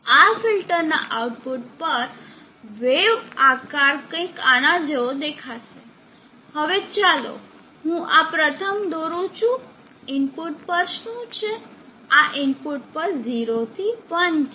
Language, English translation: Gujarati, At the output of this filter, the wave shape will look something like this, now let me draw this first, what is at the input, this is at the input 0 to 1